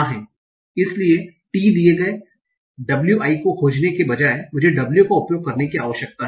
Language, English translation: Hindi, So instead of finding key given w I need to find I need to use w given t